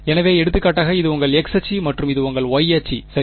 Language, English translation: Tamil, So, for example, this is your x axis and this is your y axis alright